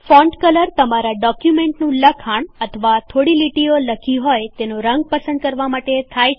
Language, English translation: Gujarati, The Font Color is used to select the color of the text in which your document or a few lines are typed